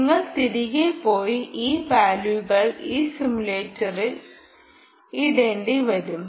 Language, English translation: Malayalam, right, you will have to go back and put this values into this simulator